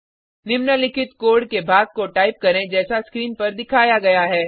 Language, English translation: Hindi, Type the following piece of code as shown on the screen